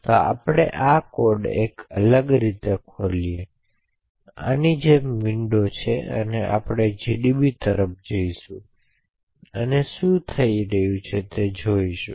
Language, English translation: Gujarati, So let us open the code in a different window like this and we will also look at gdb and see exactly what is happening, ok